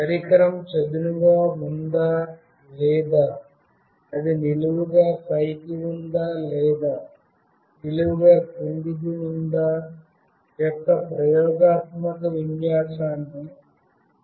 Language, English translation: Telugu, And then I will show you some experiment where the orientation of the device we will find out, whether the device is lying flat or it is vertically up or it is vertically down etc